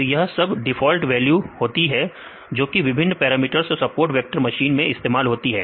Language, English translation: Hindi, So, these are the default values they used in a support vector machines and different parameters; I will show you now, different default parameters